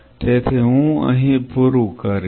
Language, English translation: Gujarati, So, I will close in here